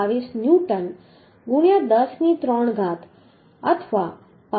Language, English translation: Gujarati, 22 newton into 10 to the 3 newton or 65